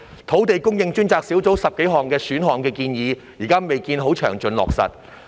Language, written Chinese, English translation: Cantonese, 土地供應專責小組提出的10多項選項建議，至今未見詳盡落實。, The details of the 10 - odd options recommended by the Task Force on Land Supply have yet to be finalized